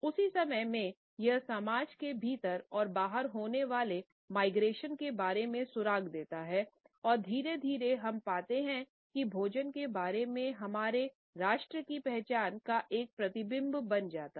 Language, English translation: Hindi, At the same time it gives us clues about the migration within and across societies and gradually we find that food becomes a reflection of our national identities also